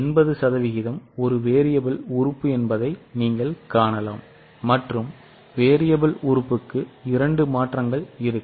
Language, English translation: Tamil, You can see 80% is a variable element and for the variable element there will be two changes